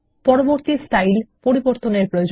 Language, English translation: Bengali, Set Next Style as Default